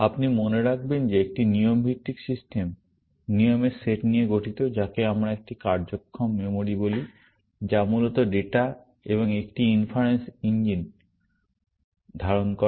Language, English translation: Bengali, If you remember that a rule based system, consists of set of rules what we call as a working memory, which basically, holds the data and an inference engine